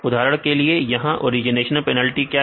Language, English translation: Hindi, For example, what is origination penalty here